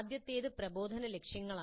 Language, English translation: Malayalam, The first one is instructional objectives